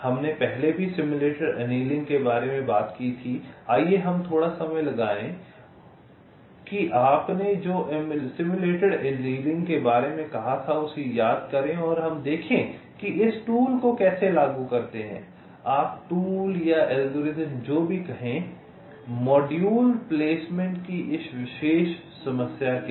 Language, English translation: Hindi, also, lets spend a little time to recall what you had said about simulated annealing and lets say how we apply this tool you can say tool or algorithm, whatever you say to this particular problem of module placement